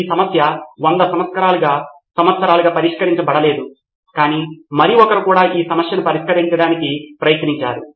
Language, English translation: Telugu, This problem was unsolved for 100 years but somebody else also tried to solve this problem